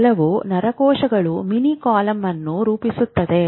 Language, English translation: Kannada, Some neurons get together to mini column